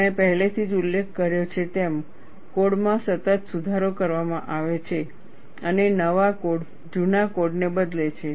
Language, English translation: Gujarati, As I had already mentioned, the codes are continuously improved and new codes replace the old ones